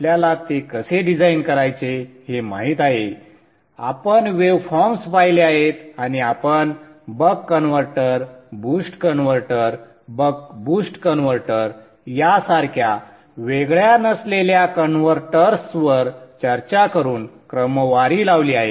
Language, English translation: Marathi, We have looked at the waveforms and then we followed it up with a discussion on non isolated converters like the buck converter, the boost converter, the buck boost converter